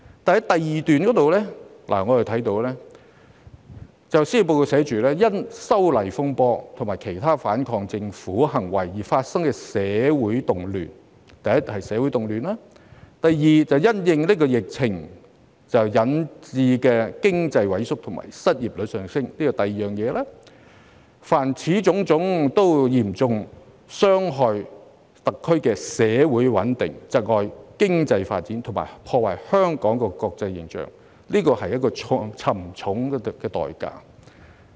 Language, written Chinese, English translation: Cantonese, 第2段寫："因'修例風波'和其他反抗政權行為而發生的社會動亂"——社會動亂是其一——"因新冠疫情肆虐而引致的經濟萎縮和失業率上升"——此其二——"......凡此種種，都嚴重損害特區的社會穩定、窒礙經濟發展、破壞香港的國際形象，社會付出了沉重代價"。, The second paragraph reads the social unrest arising from the opposition to the proposed legislative amendments to the Fugitive Offenders Ordinance and other anti - government acts―the social unrest is one of them―the shrinking economy and rising unemployment rate caused by the Coronavirus Disease COVID - 19 epidemic―this is the second―[] All these have seriously undermined the social stability of the [Hong Kong] SAR impeded its economic development and tarnished its international image and for which our society has paid a high price